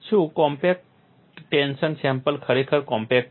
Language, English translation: Gujarati, Is the compact tension specimen really compact